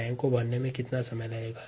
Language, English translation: Hindi, how long would it take to fill the tank, the